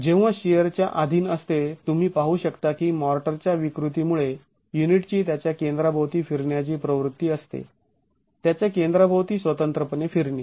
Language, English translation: Marathi, When subjected to shear, you can see that because of the deformability of the motor, the unit has a tendency to rotate about its centers, individually rotate about its centers